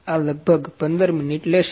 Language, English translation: Gujarati, It will take about 15 minutes